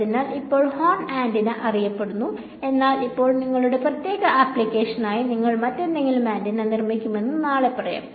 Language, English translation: Malayalam, So, now horn antenna is known but now let us say tomorrow for your particular application you build some other antenna